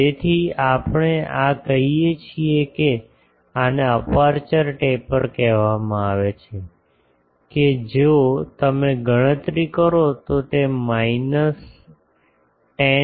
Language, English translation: Gujarati, So, we can say this one this is called aperture taper that if you calculate that will become minus 10